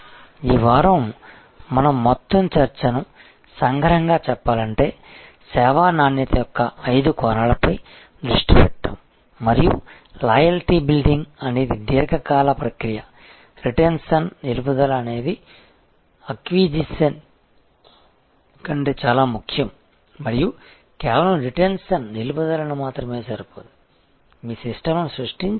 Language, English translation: Telugu, To conclude our whole discussion of this week is to focus on the five dimensions of service quality and to understand that loyalty building is a long term process retention is much more important than acquisition and only retention is not give good enough we have to create your system in your service business that you are able to win customer advocacy